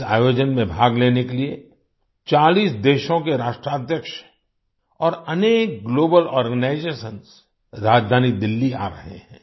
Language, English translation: Hindi, Heads of 40 countries and many Global Organizations are coming to the capital Delhi to participate in this event